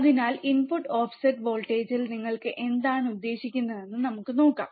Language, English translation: Malayalam, So, with that let us see what you mean by input offset voltage